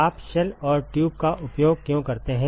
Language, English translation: Hindi, Why do you use shell and tube in